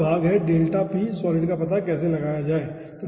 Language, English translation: Hindi, so next part is how to find out the delta p solid